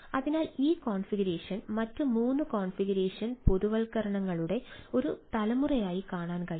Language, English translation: Malayalam, right, so this configuration can be seen as a generation of other three configuration generalization